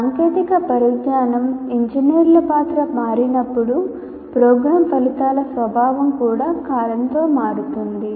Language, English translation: Telugu, As the technology changes, the role of engineers change, so the nature of program outcomes also will have to change with time